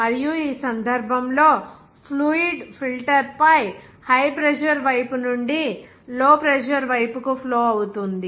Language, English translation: Telugu, And in this case, fluid flows from the high pressure side to the low pressure side on the filter